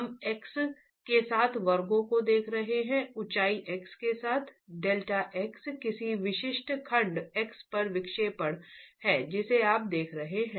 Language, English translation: Hindi, We're looking at sections along X, along the height X, delta X is the deflection at any specific section X that you are looking at